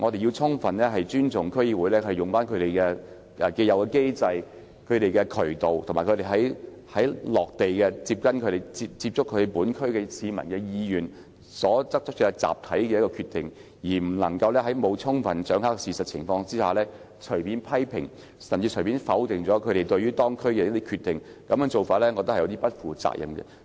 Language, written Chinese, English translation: Cantonese, 我們應尊重區議員透過既有機制或渠道，以及他們親自接觸區內市民，根據他們的意願得出的集體決定，而不應在沒有充分掌握事實的情況下，隨便作出批評，甚至否定他們對該區作出的一些決定，我認為這樣做不負責任。, We should respect the collective decisions made by DC members according to their wishes and through the established mechanisms or channels as well as their personal contact with residents in their respective districts . We should not make criticisms arbitrarily or even dismiss some of the decisions made by them for their districts without fully grasping the facts . In my opinion it is irresponsible to act in this manner